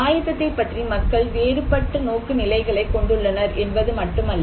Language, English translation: Tamil, Not only that people have a different orientations about preparedness